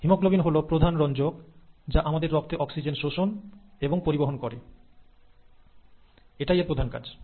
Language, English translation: Bengali, Now haemoglobin is the main pigment which absorbs and carries oxygen in our blood, and that's its major sole purpose